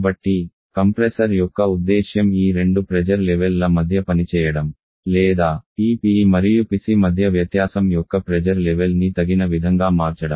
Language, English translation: Telugu, So the purpose of the compressor is to operate between these two pressure levels are to change the pressure level of the difference between this PE and PC suitably